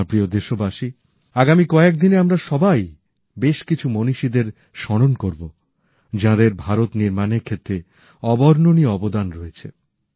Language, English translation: Bengali, My dear countrymen, in the coming days, we countrymen will remember many great personalities who have made an indelible contribution in the making of India